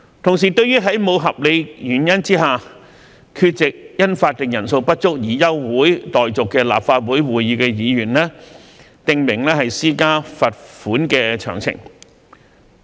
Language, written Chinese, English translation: Cantonese, 同時，對於在無合理原因下，缺席因法定人數不足而休會待續的立法會會議的議員，訂明施加罰款的詳情。, The amendment also sets out the details of the imposition of financial penalties on Members absent without valid reasons from a Council meeting adjourned due to a lack of quorum